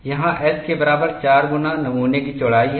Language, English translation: Hindi, S equal to 4 times the width of the specimen